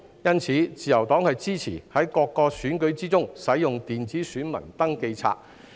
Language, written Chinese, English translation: Cantonese, 因此，自由黨支持在各個選舉中使用電子選民登記冊。, As such the Liberal Party supports the use of electronic register of electors in all elections